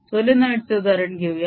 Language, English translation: Marathi, let's take that example of a solenoid